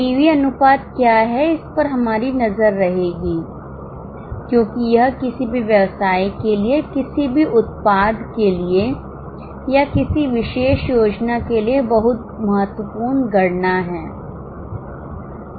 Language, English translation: Hindi, We will just have a look at what is PV ratio because it is a very important calculation for any business, for any product or for any particular plant